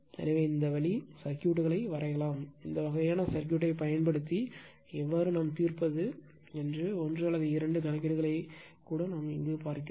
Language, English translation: Tamil, So, this way you can draw the circuit, even you will see one or two problem that how to solve using this kind of circuit right